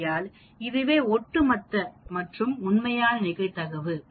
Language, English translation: Tamil, So, this is the cumulative and this is the exact probability here